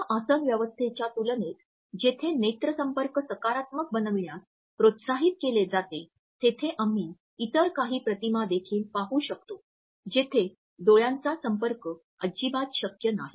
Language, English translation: Marathi, In comparison to these seating arrangements where a positive eye contact is encouraged, we can also look at certain other images where the eye contact is not fully possible